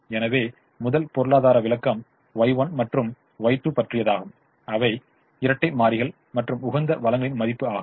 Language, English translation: Tamil, so first economic interpretation is: y one and y two, which are the dual variables, are the worth of the resources at the optimum